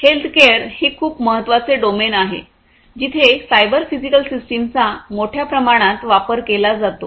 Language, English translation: Marathi, Healthcare is a very important domain where cyber physical systems are widely used